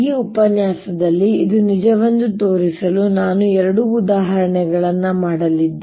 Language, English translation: Kannada, in this lecture i am going to do two examples to show this is true